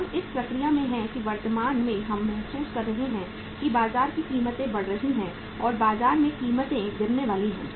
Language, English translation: Hindi, We are in the process means currently we are feeling that uh the prices are rising in the market or prices are about to fall down in the market